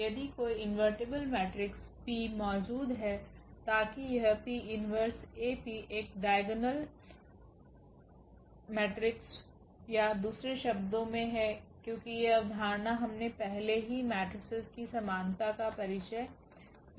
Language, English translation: Hindi, If there exists an invertible matrix P such that this P inverse AP is a diagonal matrix or in other words, because this concept we have already introduced the similarity of the matrices